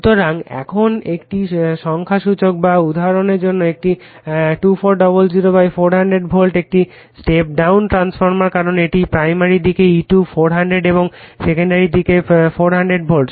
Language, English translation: Bengali, So, now, this is for this numerical a 2400 / 400 volt is a step down transformer because this is primary sidE2400 and secondary side 400 volts